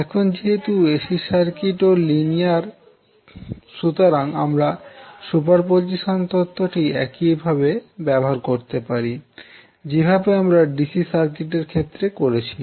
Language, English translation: Bengali, So, now as AC circuit is also linear you can utilize the superposition theorem in the same way as you did in case of DC circuits